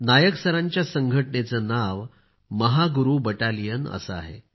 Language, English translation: Marathi, The name of the organization of Nayak Sir is Mahaguru Battalion